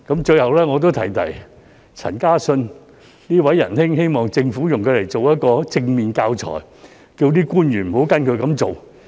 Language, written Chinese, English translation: Cantonese, 最後，我要提提陳嘉信這位仁兄，希望政府用他來做一個正面的教材，請官員不要跟隨他的做法。, Finally I must also mention this guy called Carlson CHAN . I hope the Government can use him as a positive example and I also urge our public officials not to follow his practice